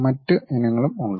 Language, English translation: Malayalam, There are other varieties also